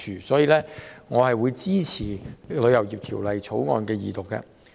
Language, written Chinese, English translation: Cantonese, 因此，我會支持二讀《條例草案》。, For this reason I will support the Second Reading of the Bill